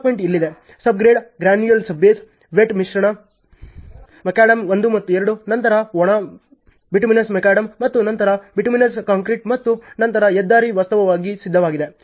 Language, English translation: Kannada, The embankment is here, sub grade, granular sub base, wet mix macadam 1 and 2, then dry bituminous macadam and then bituminous concrete and then the highway is actually ready